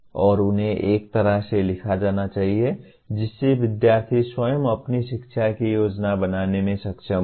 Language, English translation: Hindi, And they should be written in a way the student themselves should be able to plan their learning